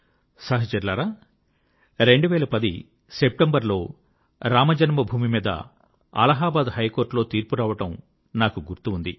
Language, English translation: Telugu, Friends, I remember when the Allahabad High Court gave its verdict on Ram Janmabhoomi in September 2010